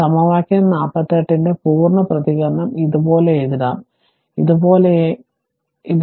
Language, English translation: Malayalam, So, the complete response of equation 48 may be written as this can be written as something like this